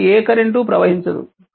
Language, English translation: Telugu, So, there will be no current here